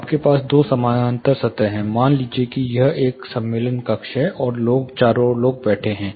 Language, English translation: Hindi, You have two parallel surfaces, you have say, a person say this is a conference room table, and people are seated all around